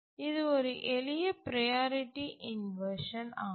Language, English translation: Tamil, So, this is a simple priority inversion